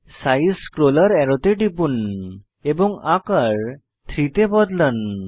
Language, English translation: Bengali, Click on Size scroller arrow and increase the size to 3.0 pts